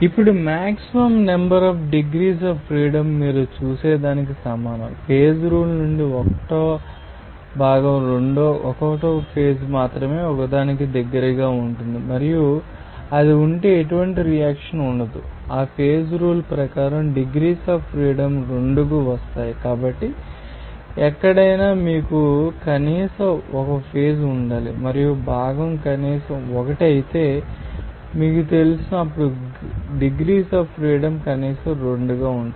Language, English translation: Telugu, Now, the maximum number of degrees of freedom is equal to what you see that from the phase rule, 1 component will be 1 phase will be close to only one and there will be no reaction if it is there, then according to that phase rule, degrees of freedom will be coming 2 So, anywhere you have to you know minimum 1 phase to be there and component if it is minimum 1 then degrees of freedom will be minimum of 2